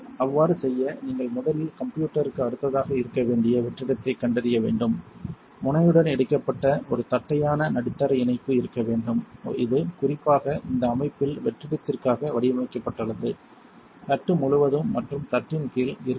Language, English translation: Tamil, To do so, you must first locate the vacuum which should be located next to the system, there should be a flattened middle attachment connected to the nozzle, which was specifically designed for vacuum in this system; that tightly across the plate as well as under the plate